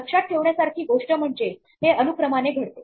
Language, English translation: Marathi, The important thing to remember is that this happens in sequence